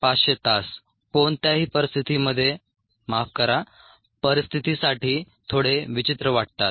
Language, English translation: Marathi, seven thousand five hundred hours seems a little odd for any situation